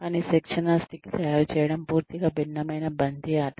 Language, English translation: Telugu, But, making the training stick, is a totally different ball game